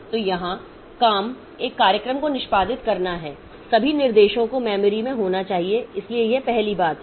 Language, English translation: Hindi, So, here the job is to execute a program or all of the instructions must be in memory